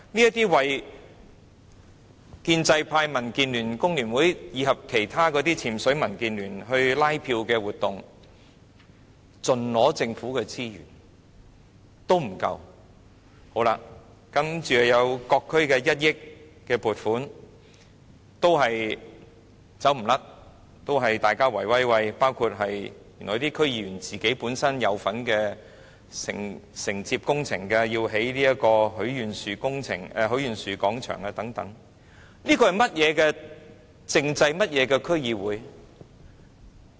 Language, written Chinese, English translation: Cantonese, 這些為建制派、民主建港協進聯盟、香港工會聯合會及其他"潛水"民建聯拉票的活動，盡取政府的資源，這還不夠，接着還有各區的1億元撥款也一樣，也是大家在"圍威喂"，包括有區議員參與承接的工程，例如興建許願廣場等，這是怎麼樣的政制和區議會？, These pro - establishment organizations the Democratic Alliance for the Betterment and Progress of Hong Kong DAB the Hong Kong Federation of Trade Unions FTU and other submerged activities of DAB designed to canvass votes have taken all of the Governments resources and what is more there is this provision of 100 million to each district which is just the same as it is likewise meant to be a coterie for cronyism among themselves . For instance there are projects in which DC members have taken part in bidding for the contracts such as the construction of the Wishing Square . How ridiculous are this political system and the DCs